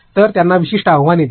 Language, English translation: Marathi, So, give them certain challenges